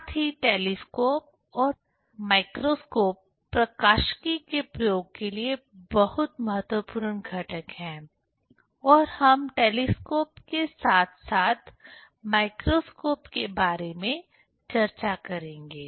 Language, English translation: Hindi, Also the telescope and microscope, those are also very important components for optics experiment and also they have general use